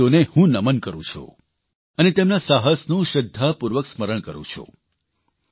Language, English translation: Gujarati, I bow to those martyrs and remember their courage with reverence